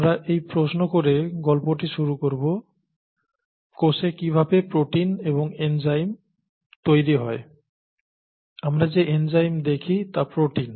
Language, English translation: Bengali, We will begin the story by asking this question, how are proteins and of course enzymes, we are looking at enzymes that are proteins, made in the cell, okay